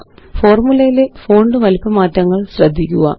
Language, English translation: Malayalam, Notice the font size changes in the formulae